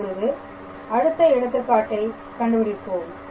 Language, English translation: Tamil, So, this is another interesting example